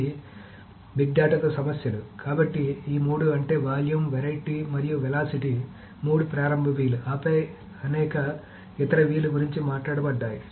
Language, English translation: Telugu, So these are the three, I mean, the volume, variety and velocity are the three initial Vs and then there are many other Vs that are being talked about